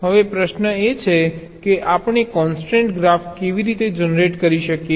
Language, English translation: Gujarati, now the question is: how do we generate the constraint graph